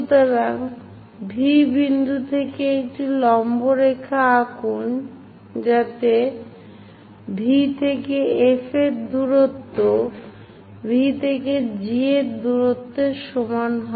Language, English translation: Bengali, So, from V point draw a perpendicular line in such a way that V to F whatever the distance, V to G also same distance, we will be having